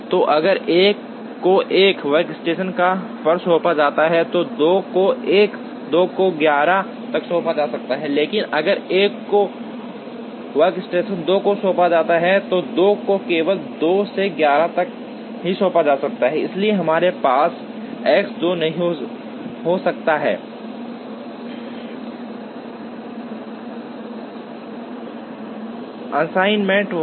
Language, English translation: Hindi, So, if 1 is assigned to workstation 1, then 2 can be assigned to 1, 2 up to 11, but if 1 is assigned to workstation 2, then 2 can be assigned only up to 2 to 11, so we cannot have X 2 1 assignment there